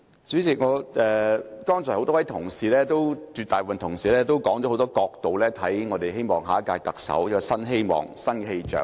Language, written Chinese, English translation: Cantonese, 主席，剛才很多同事，其實是絕大部分同事，都提出了很多角度，希望下屆特首帶來新希望、新氣象。, President many Members most of them indeed have talked about their expectations for the Chief Executive from various angles in which they wish that he or she can bring new hope and a new atmosphere